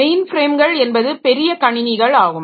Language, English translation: Tamil, So, main frames, so they are big systems